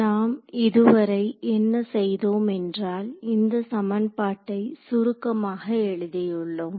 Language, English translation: Tamil, So, so far what we have done is we have sort of written this equation abstractly ok